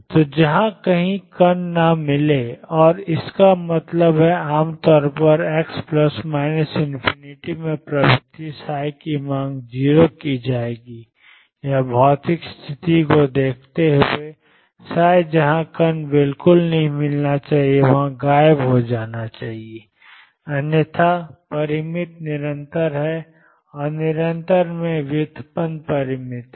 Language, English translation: Hindi, So, wherever particle is not to be found and; that means, generally x tend into plus or minus infinity will demanded psi be 0 or looking at the physical situation psi should vanish wherever the particle is not to be found at all, otherwise is finite continuous and is derivative finite in continuous